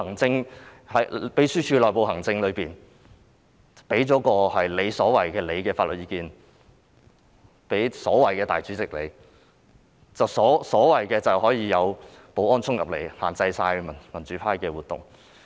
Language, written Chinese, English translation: Cantonese, 在秘書處的內部行政中，她向所謂的立法會主席提供了她所謂的法律意見，然後所謂的保安人員便可以衝進來限制民主派議員的活動。, Under the internal administration of the Secretariat she provided her so - called legal advice to the so - called President of the Legislative Council and then the so - called security officers could dash in to restrict the activities of Members from the pro - democracy camp